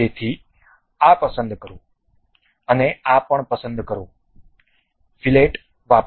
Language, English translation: Gujarati, So, select this one and select this one also, use fillet